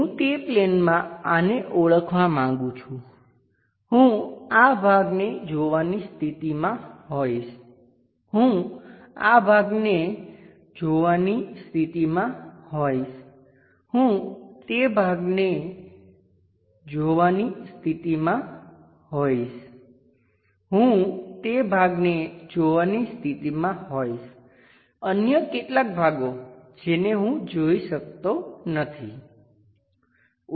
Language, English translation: Gujarati, I would like to identify this on that plane, I will be in a position to visualize this part, I will be in a position to visualize this part, I will be in a position to visualize that part, I will be in a position to visualize that part, some other parts I can not really visualize